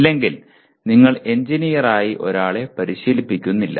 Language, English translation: Malayalam, If you do not, you are not training somebody as an engineer